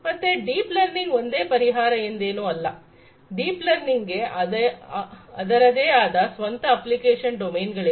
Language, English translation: Kannada, So, it is not like you know deep learning is the only solution, deep learning has its own application domains